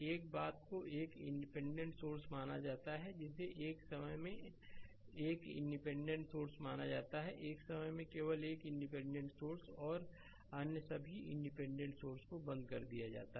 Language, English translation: Hindi, One thing is you consider one independent source that is your you consider one independent source at a time right one only one independent source at a time and all other independent sources are turned off right